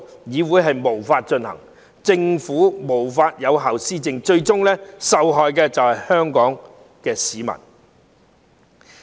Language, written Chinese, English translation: Cantonese, 議會無法運作，政府無法有效施政，最終受害的就是香港市民。, When the Council could not function and the Government could not administer effectively ultimately the people of Hong Kong would suffer